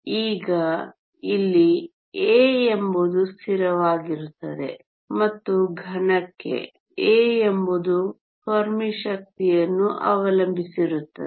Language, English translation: Kannada, Now, a here is a constant and for a solid, a depends upon the Fermi energy